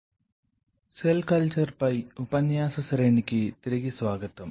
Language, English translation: Telugu, So, welcome back to the lecture series on Cell Culture